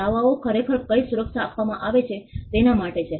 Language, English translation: Gujarati, The claims are actually for what the protection is granted